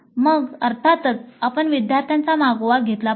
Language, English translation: Marathi, Then of course we must track the students